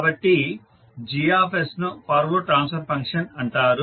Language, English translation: Telugu, So Gs is called as forward transfer function